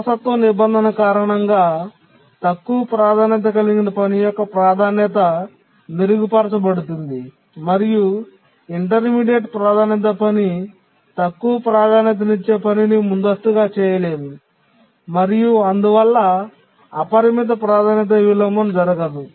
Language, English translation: Telugu, So it is the inheritance clause because of that the priority of the low priority task gets enhanced and the intermediate priority task cannot undergo cannot cause the low priority task to be preempted and therefore unbounded priority inversion cannot occur